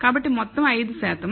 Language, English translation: Telugu, So, the overall is 5 percent